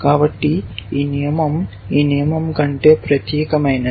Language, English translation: Telugu, So, this rule is more specific than this rule